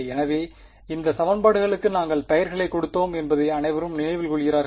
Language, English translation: Tamil, So, everyone remember this we had even given names to these equations